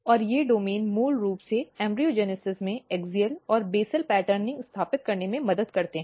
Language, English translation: Hindi, And these domains basically help in, in establishing axial and basal patterning in the embryogenesis